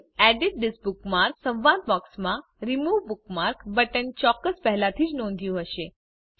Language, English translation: Gujarati, Of course, youve already noticed the Remove bookmark button in the Edit This Bookmark dialog box